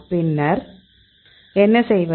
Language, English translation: Tamil, And then what we do